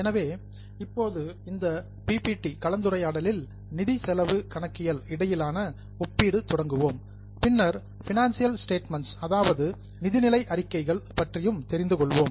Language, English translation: Tamil, So, now we will start in this PPP discussion on comparison between financial cost accounting and then we will also learn about financial statements